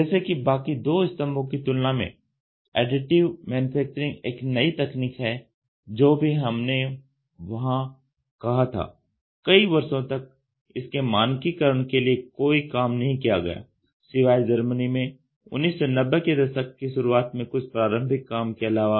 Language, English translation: Hindi, As Additive Manufacturing is a comparably young technology as compared to the other two pillars whatever we have said there were almost no efforts for standardization for many years, other than some preliminary work done in Germany in early 1990s